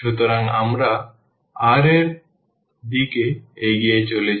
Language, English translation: Bengali, So, we are moving in the direction of r